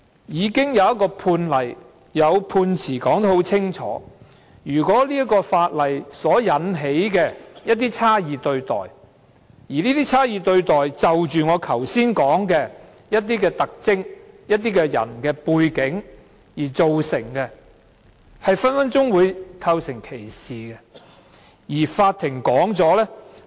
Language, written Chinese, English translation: Cantonese, 現在已有判例和判詞清楚述明，如果法例會引起一些差異對待，而這些差異對待是由我剛才提到的某些特徵或某些人的背景造成，隨時會構成歧視。, It is now stated clearly in the Judgment of the relevant case that a piece of legislation may constitute discrimination at any time if it will give rise to differential treatment and such differential treatment is caused by certain characteristics or the background of certain people